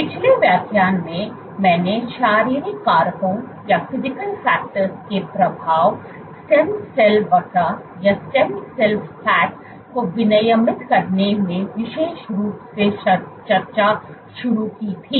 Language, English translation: Hindi, So, in the last lecture, I started discussing the effect of physical factors and among this specifically stiffness in regulating stem cell fat